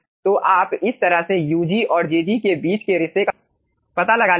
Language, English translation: Hindi, so you will be finding out relationship between ug and jg in this fashion